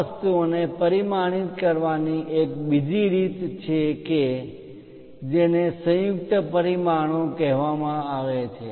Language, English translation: Gujarati, There is one more way of dimensioning these things called combined dimensioning